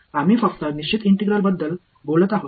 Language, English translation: Marathi, We are only talking about definite integrals alright